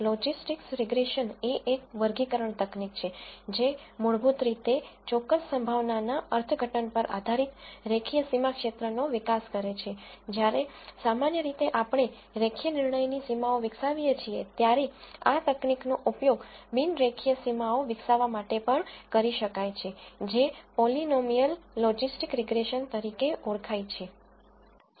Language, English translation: Gujarati, Logistics regression is a classification technique which basically develops a linear boundary regions, based on certain probability interpretations, while in general we develop a linear decision boundaries, this technique can also be extended to develop non linear boundaries using what is called polynomial logistic regression